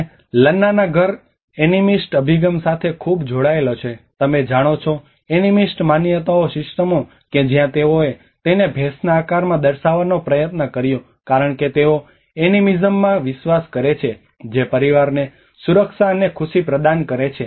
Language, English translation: Gujarati, And the Lanna house is very much linked to the animist approach you know the animist beliefs systems that is where they tried to portray that in the shape of a buffalo because they believe in animism which is providing the protection and happiness to the family